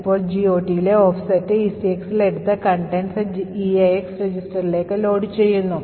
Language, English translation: Malayalam, Now, we take offset in the GOT table and that to ECX and load the contents into EAX register